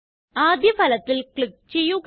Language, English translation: Malayalam, Click on the first result